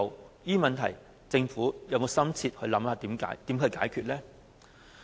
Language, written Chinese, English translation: Cantonese, 對於這些問題，政府可曾深切研究應如何解決？, Has the Government seriously explored how this problem can be solved?